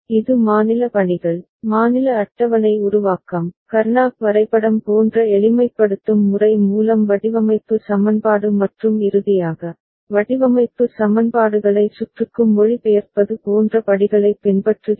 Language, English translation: Tamil, It follows steps like state assignments, state table formation, design equation through simplification method like Karnaugh map and finally, translating design equations to circuit